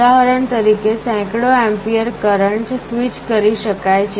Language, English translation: Gujarati, For example, hundreds of amperes of currents can be switched